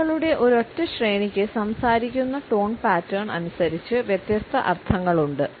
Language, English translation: Malayalam, A single sequence of words can have different meanings depending on the tone pattern with which it is spoken